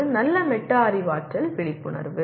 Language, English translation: Tamil, That is good metacognitive awareness